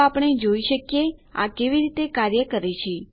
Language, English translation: Gujarati, So we can see how this works